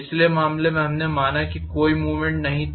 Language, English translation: Hindi, In the previous case, we considered there was no movement